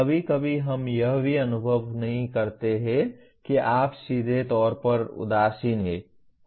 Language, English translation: Hindi, Sometimes we do not even perceive if you are indifferent straightaway